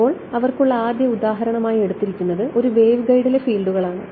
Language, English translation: Malayalam, So, the first example they have is for example, fields in a waveguide